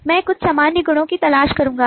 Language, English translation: Hindi, so let us look at some of the conceptual properties